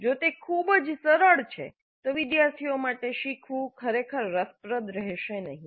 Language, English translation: Gujarati, If it is too easy the learning is not likely to be really interesting for the students